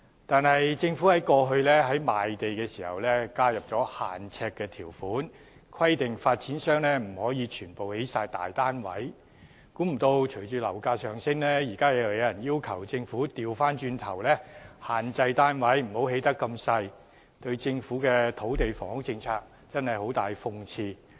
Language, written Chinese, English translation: Cantonese, 但政府過去在賣地時，加入了"限呎"的條款，規定發展商不可把土地全部用作興建大單位，想不到隨着樓價上升，現在有人要求政府不要規限發展商興建面積細小的單位，這對政府的土地房屋政策十分諷刺。, However the Government has in selling land in the past imposed conditions on flat sizes so as to prohibit developers from only building large residential units . Surprisingly with the rise in property prices some people are now asking the Government not to restrict developers in only building small units . That is ironic in respect of the Governments housing and land policy